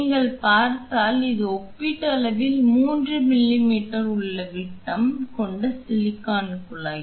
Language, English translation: Tamil, If you see this is relatively 3 m m inner diameter silicon tube